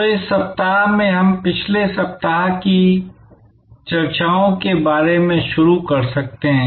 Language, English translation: Hindi, So, in this week five we can first start with a bit of a recap about our last week’s discussions